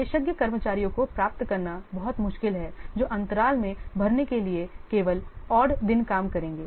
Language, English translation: Hindi, It is very much difficult to get specialist staff who will work only odd days to fill in the gaps